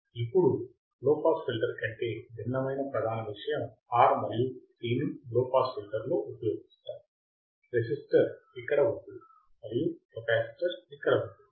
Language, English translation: Telugu, So, now, when we hear the main thing which is different than the low pass filter is the placement of the R and C in the low pass filter, the resistor is here and the capacitor is here